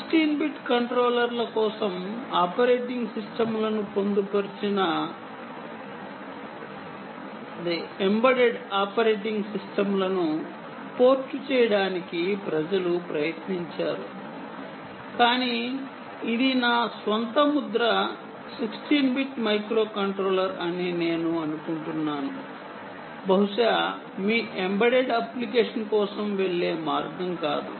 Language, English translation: Telugu, people have attempted to port operating systems, embedded operating systems, for sixteen bit controllers, but i think this, my own impression, is, sixteen bit microcontroller perhaps is not the way to go, um, for your any embedded application